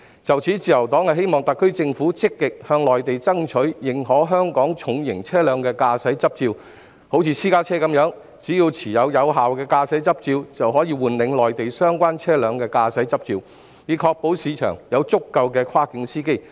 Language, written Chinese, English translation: Cantonese, 就此，自由黨希望特區政府積極向內地爭取，認可香港的重型車輛駕駛執照，好像私家車的情況一樣，只要持有有效的香港駕駛執照，便可換領內地相關車輛的駕駛執照，以確保市場上有足夠跨境司機。, Therefore the Liberal Party hopes that the SAR Government will actively strive for the Mainlands recognition of Hong Kongs driving licences of heavy vehicle drivers just like the case of private vehicles so that the holder of a valid driving licence of Hong Kong can apply for a Mainland driving licence of the type of vehicle concerned to ensure an abundant supply of cross - boundary drivers in the market